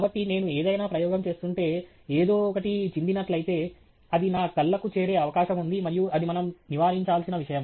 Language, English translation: Telugu, So, if I am doing any experiment, if something spills, there is fair chance that it can reach my eyes and that is something that we need to avoid